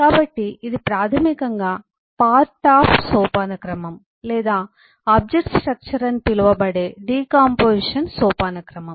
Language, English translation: Telugu, so this is basically the decompositional hierarchy, known as the part of hierarchy or the object structure